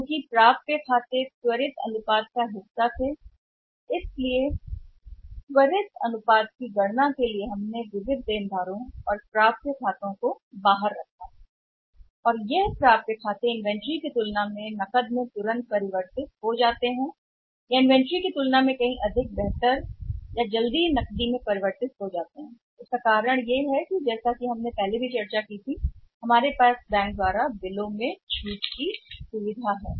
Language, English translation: Hindi, Because accounts receivables were part of the quick ratio why we have excluded the sundry debtors or maybe the accounts receivables for calculating the quick ratio and how we consider that accounts receivables are now quickly convertible into cash as compared to inventory or they are far more better or quickly convertible into cash as compared to inventory the reason is that as we have discussed in the past also that we have the bill discounting facility from the banks